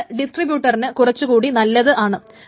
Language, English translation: Malayalam, It is not very good for distribution